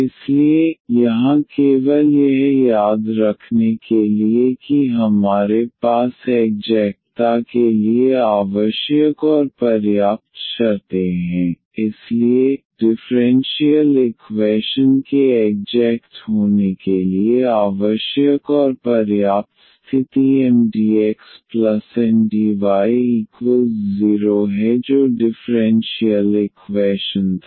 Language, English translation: Hindi, So, here just to recall that we have the necessary and sufficient conditions for the exactness, so, the necessary and sufficient condition for the differential equation to be exact is Mdx plus Ndy is equal to 0 that was the differential equation